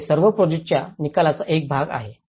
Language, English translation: Marathi, So all these have been a part of the project outcomes